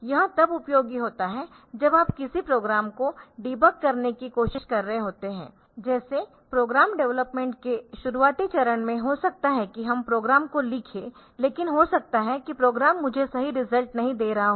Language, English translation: Hindi, So, this is useful when you are trying to debug a program like in the initial stage of program development there may be we write the program, but we may be the program is not giving me the correct result